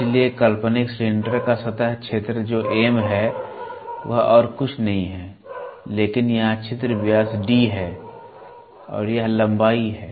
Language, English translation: Hindi, So, the surface area of imaginary cylinder that is M which is nothing but this and here the orifice diameter is D and this is the length